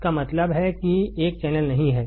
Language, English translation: Hindi, It means a channel is not there